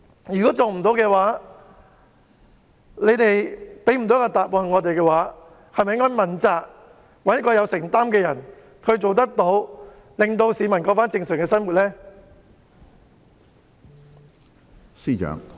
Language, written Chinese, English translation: Cantonese, 如果政府未能辦到，未能給市民答覆，是否應該問責，找一位有承擔的人來做，讓市民可以重過正常生活？, If the Government cannot do so and is unable to give an answer to the public should it not take the responsibility and find someone with commitment to do the job so that people can resume their normal life?